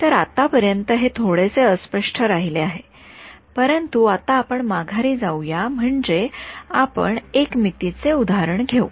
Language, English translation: Marathi, So, it has been a little vague so far, but now what we will do is drive home the point let us take a 1D example so